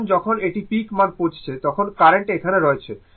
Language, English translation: Bengali, Because when when ah your it is reaching peak value current is here